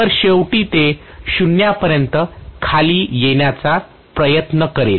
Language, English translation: Marathi, So it will try to come down to 0 eventually, right